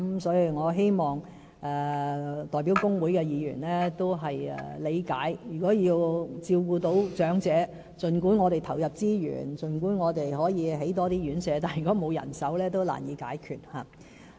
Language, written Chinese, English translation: Cantonese, 所以，我希望代表工會的議員理解，儘管我們投入資源，興建更多院舍，但如果缺乏人手照顧長者，問題也是難以解決的。, Therefore I hope Members representing trade unions can realize that even if we allocate the necessary resources for constructing more RCHEs it will still be difficult to solve the problem if manpower for elderly care is in short supply